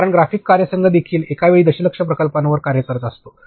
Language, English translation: Marathi, So, and graphics team also works with million projects at one time